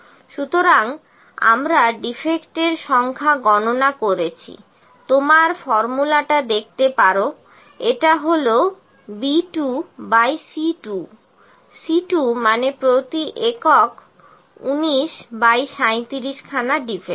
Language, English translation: Bengali, So, we have calculated the number of defects, number of defects is you can see the formula it is C 2 by B 2; C 2 means 19 by 37 to defects per unit